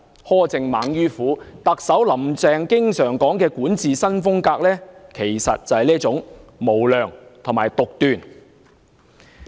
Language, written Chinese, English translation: Cantonese, 苛政猛於虎，特首"林鄭"經常說的"管治新風格"，其實即是這種無良和獨斷的作風。, The new style of governance frequently mentioned by Chief Executive Carrie LAM is actually such an unscrupulous and arbitrary style